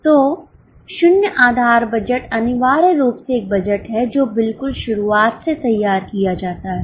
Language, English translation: Hindi, So, zero base budget essentially is a budget which is prepared from scratch